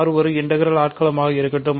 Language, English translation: Tamil, Let R be an integral domain, ok